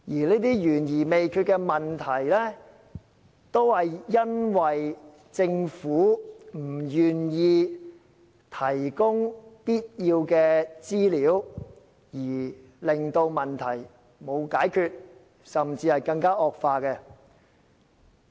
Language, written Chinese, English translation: Cantonese, 這些懸而未決的問題，是因為政府不願意提供必要的資料，以致問題無法解決，甚至更加惡化。, These problems remain unresolved or even escalate because the Government is unwilling to provide the necessary information